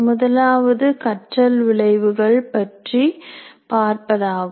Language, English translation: Tamil, One is looking at learning outcomes